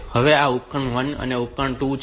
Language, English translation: Gujarati, So, this, this is a device 1, this is device 2